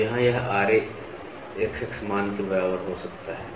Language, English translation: Hindi, So, here it can Ra equal to XX value